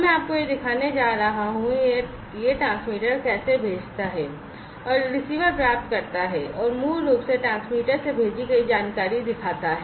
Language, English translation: Hindi, And I am going to show you how this transmitter sends and the receiver receives and basically shows the sent information from the transmitter